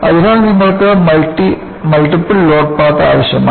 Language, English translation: Malayalam, So, you need to have multiple load path